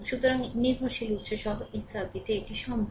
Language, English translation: Bengali, So, and this is possible in a circuit with dependent sources